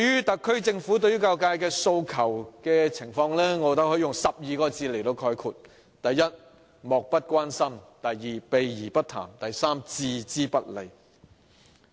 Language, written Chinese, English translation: Cantonese, 特區政府對教育界訴求的態度，我認為可以用12個字來概括：第一，漠不關心；第二，避而不談；第三，置之不理。, In my view the SAR Governments attitude towards the aspirations of the education sector can be summed up in three words first indifferent; second evasive; and third disregardful